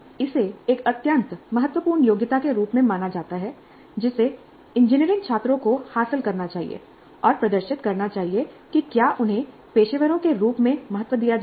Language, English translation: Hindi, And this is considered as an extremely important competence that engineering students must acquire and demonstrate if they are to be valued as professionals